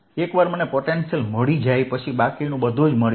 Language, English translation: Gujarati, once i found the potential rest, everything follows